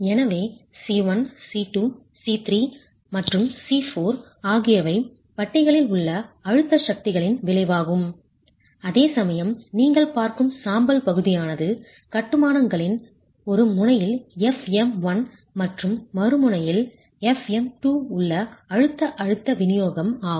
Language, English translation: Tamil, So, C1, C2, C3 and C4 are the resultants of the compressive forces in the bars, whereas the grey area that you see is the compressive stress distribution in the masonry with fm 1 on 1 end and fm 2 on the on the end where the section is less compressed